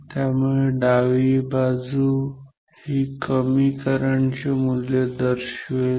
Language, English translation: Marathi, So, that means the left side within decayed low value of current